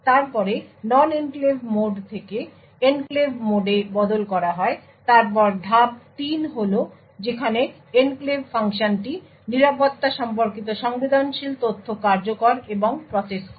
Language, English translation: Bengali, Then there is switch from the non enclave mode into the enclave mode then the step 3 is where the enclave function executes and processes the security related sensitive data